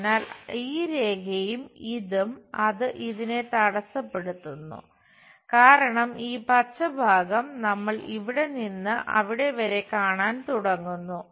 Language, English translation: Malayalam, So, this line, and this, it stops it because we start seeing this green portion from here to there